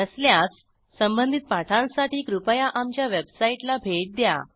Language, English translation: Marathi, If not, for relevant tutorials please visit our website which is as shown